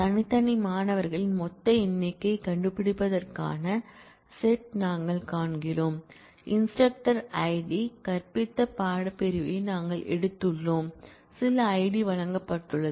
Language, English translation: Tamil, We find the set of the find the total number of distinct students, we have taken the course section taught by the instructor Id, some Id is given